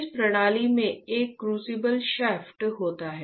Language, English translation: Hindi, This system consists of a crucible shaft